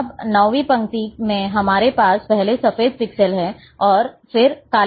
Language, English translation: Hindi, Now, ninth row we are having first, white pixel, and then we are having black black